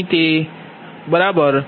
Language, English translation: Gujarati, it is here, it is right